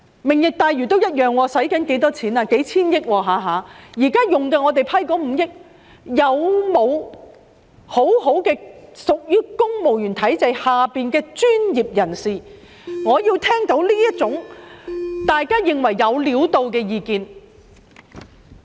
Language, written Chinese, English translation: Cantonese, "明日大嶼願景"要花數千億元，就已批出的5億元，有否屬於公務員體制下的專業人士，提供大家認為"有料到"的意見？, The Lantau Tomorrow Vision will cost hundreds of billions of dollars in total but for the 500 million already approved are there any professionals in the civil service who can provide us with any cogent viewpoints?